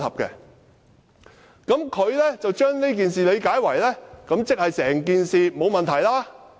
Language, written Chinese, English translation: Cantonese, 他把我的同意理解為我認為整件事沒有問題。, Mr LAU interpreted my understanding as claiming that there was nothing wrong with the whole incident